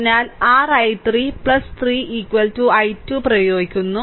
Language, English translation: Malayalam, So, applying your i 3 plus 3 I is equal to i 2